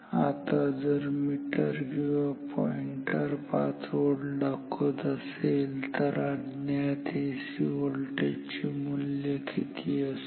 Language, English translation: Marathi, Now if the meter or the pointer shows 5 volt, then what is the value of the AC voltage unknown AC voltage